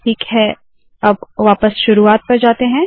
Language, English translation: Hindi, Alright, lets come back to the beginning